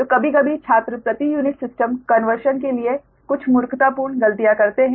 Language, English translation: Hindi, so sometimes, sometimes, students, they make some silly mistakes for power unit system